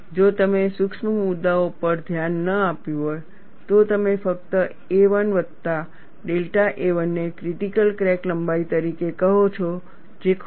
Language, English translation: Gujarati, If you have not looked at the certain issues, you will simply say a 1 plus delta a 1 as a critical crack length, which is wrong